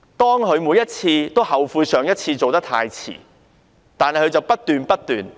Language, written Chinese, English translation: Cantonese, 當她每次皆後悔上一次做得太遲時，她卻不斷做錯。, When she regrets every time that she acted too late the last time she keeps doing wrong things